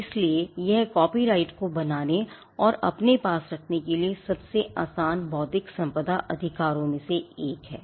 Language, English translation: Hindi, So, that makes copyright one of the easiest intellectual property rights to create and to own